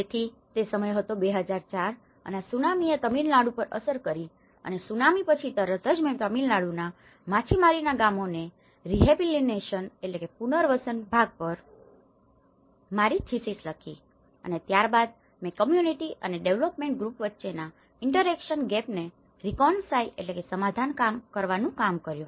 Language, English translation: Gujarati, So, that was the time of 2004 and Tsunami have hit the Tamilnadu and immediately after the Tsunami, I did my thesis on the rehabilitation part of fishing villages in Tamil Nadu and then I worked on the reconciling the interaction gap between the community and the development groups